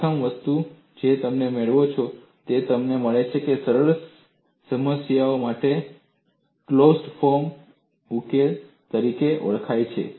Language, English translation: Gujarati, First thing what you get is you get what is known as closed form solution for simple problems